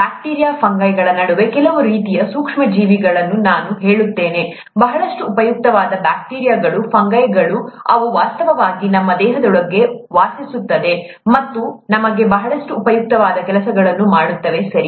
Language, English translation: Kannada, I would should say some types of micro organisms among bacteria, fungi; there are a lot of very useful types of bacteria, fungi, which actually reside inside our body and do a lot of useful things for us, okay